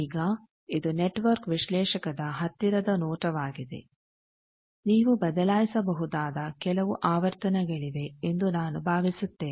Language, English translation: Kannada, Now, this is a closer view of network analyzer where you will see that I think there are some frequencies you can change